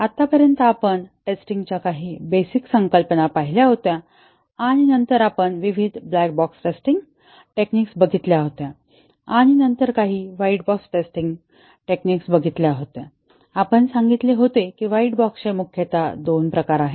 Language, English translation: Marathi, So far we had seen some basic concepts on testing and then, we had looked at black box testing, various black box testing techniques and then, we had looked at some white box testing techniques and we said that there are mainly two types of white box testing techniques